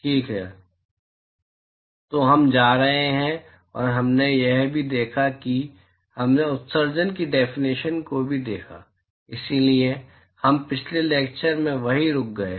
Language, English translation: Hindi, All right, so, we going to, and we also looked at we also looked at definition of emissivity, so, that is where we stopped in the last lecture